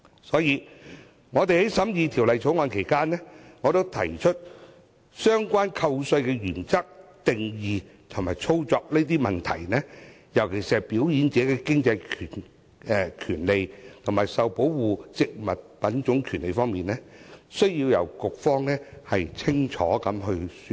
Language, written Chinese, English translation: Cantonese, 所以，在審議《條例草案》期間，我針對相關扣稅的原則、定義和操作等方面提出問題，尤其是"表演者的經濟權利"和"受保護植物品種權利"兩方面，局方需要清楚說明。, During the scrutiny of the Bill I therefore asked the authorities to clarify the rationale scope and workings of the tax deduction especially the definitions of performers economic rights and protected plant variety rights